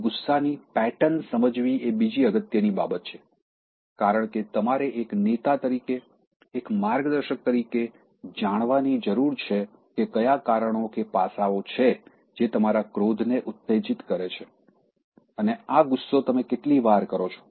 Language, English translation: Gujarati, Watch your anger pattern, is another important thing because, you need to know as a leader, as a mentor what are the factors, aspects, that are triggering your anger and how often this anger is coming to you